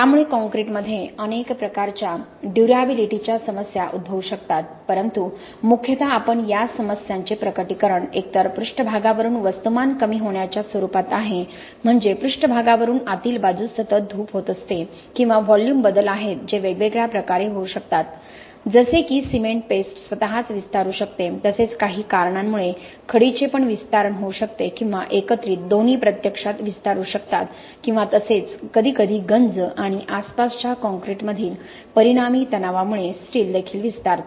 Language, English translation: Marathi, Alright, so there are several different types of durability problems that can happen in concrete, but mostly what you will see is the manifestation of these problems either is in the form of progressive loss of mass from the surface that means there is constant erosion that happens from the surface inwards, or there are volume changes which can happen in several different ways, the paste can expand on its own, the aggregate can expand because of certain issues or both paste and aggregate can actually expand or sometimes the steel expands because of corrosion and resultant stresses in the surrounding concrete